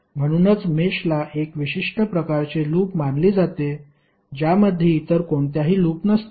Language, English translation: Marathi, So that is why mesh is considered to be a special kind of loop which does not contain any other loop within it